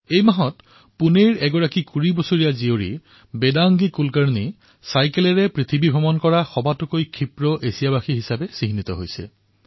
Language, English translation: Assamese, This very month, 20 year old Vedangi Kulkarni from Pune became the fastest Asian to traverse the globe riding a bicycle